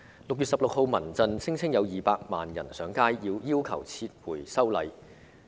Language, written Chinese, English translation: Cantonese, 6月16日，民間人權陣線聲稱有200萬人上街，要求撤回修例。, On 16 June the Civil Human Rights Front claimed that 2 million people had taken to the streets to demand withdrawal of the Bill